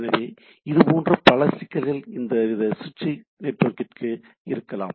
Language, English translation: Tamil, So, what there can be the several issue; so to for this type of switch network